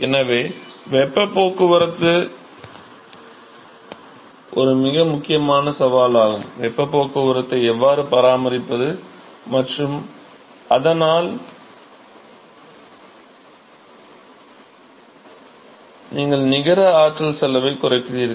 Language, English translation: Tamil, So, heat transport is a very important challenge, how to maintain the heat transport and so, that you cut down the net energy cost